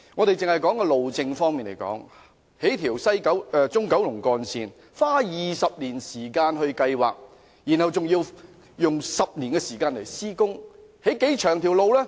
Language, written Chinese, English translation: Cantonese, 單以路政方面來說，興建一條中九龍幹線也要花20年時間計劃，然後再要用10年時間施工，興建多長的路呢？, In terms of road administration it took 20 years to plan the construction of the Central Kowloon Route and will take another decade to carry out the works . How long will this route be?